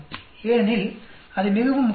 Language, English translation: Tamil, Because that is very very important